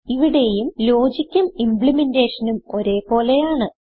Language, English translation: Malayalam, Here also the logic and implementation are same